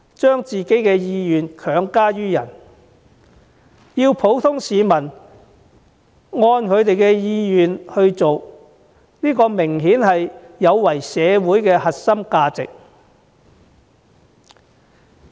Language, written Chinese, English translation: Cantonese, 把自己的意願強加於人，要他人按照自己的意願去做，這明顯有違社會核心價值。, Apparently it is contrary to the core values of society for anyone to force their will on the others and require the others to act accordingly